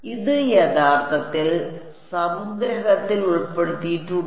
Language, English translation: Malayalam, It is included in the summation actually